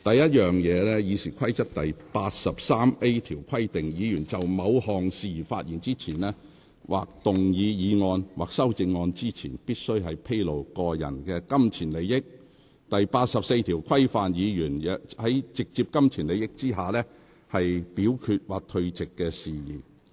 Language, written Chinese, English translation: Cantonese, 《議事規則》第 83A 條只規定議員就某項事宜發言前，或動議議案或修正案前，須披露個人金錢利益；第84條則規範議員在有直接金錢利益的情況下表決或退席的事宜。, RoP 83A only requires a Member to disclose the nature of any personal pecuniary interest before speaking on the matter or moving any motion or amendment relating to that matter . RoP 84 on the other hand provides for the voting or withdrawal in case of direct pecuniary interest